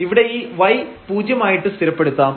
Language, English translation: Malayalam, So, here this y is 0